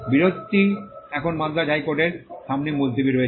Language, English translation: Bengali, dispute which is now pending before the high court at Madras